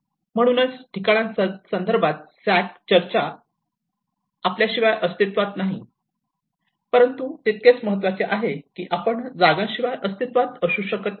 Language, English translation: Marathi, That is where Sack talks about places cannot exist without us, but equally important we cannot exist without places